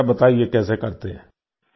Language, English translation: Hindi, Tell me, how do you do it